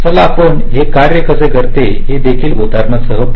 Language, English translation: Marathi, so lets, lets take the same example to work it